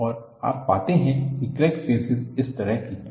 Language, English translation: Hindi, And, you find the crack faces are like this